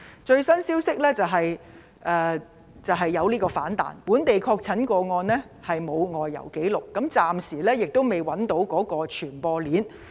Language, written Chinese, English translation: Cantonese, 最新消息是疫情出現反彈，該本地確診個案沒有外遊紀錄，暫時未能找出傳播鏈。, The latest news shows that the epidemic has rebounded . This local confirmed case has no history of travelling outside Hong Kong and the transmission chain has not been identified